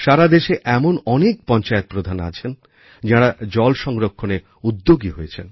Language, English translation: Bengali, There are several Sarpanchs across the country who have taken the lead in water conservation